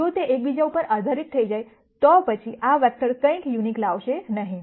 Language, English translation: Gujarati, If they become dependent on each other, then this vector is not going to bring in anything unique